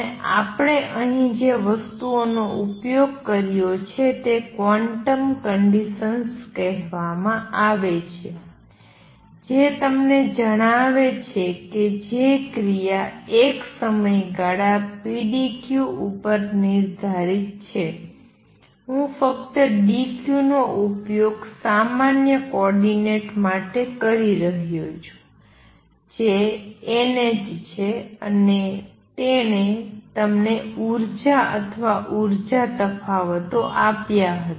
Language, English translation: Gujarati, And what we have used here are some thing called the quantum conditions that tell you that the action a which is defined over a period pdq, I am just using dq for generalized coordinate is n h and that gave you the energies or energy differences